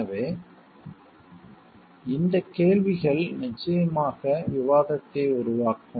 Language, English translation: Tamil, So, these questions will certainly generate discussion